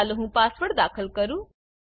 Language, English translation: Gujarati, Let me enter the password